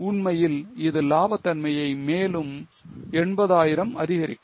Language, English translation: Tamil, 8, in fact, it will increase profitability further by 80,000